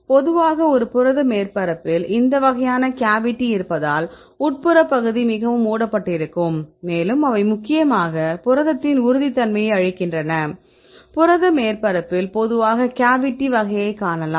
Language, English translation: Tamil, And generally this kind of a cavity on a protein surface right because in the interior part is highly covered, and they are mainly imparting the stability of the protein in this case you can see generally type of cavity right at the protein surface